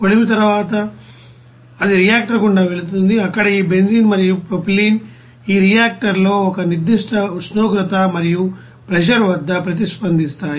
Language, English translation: Telugu, After furnace you know that it will go through the reactor where this benzene and propylene will be reacting at a certain temperature and pressure in this reactor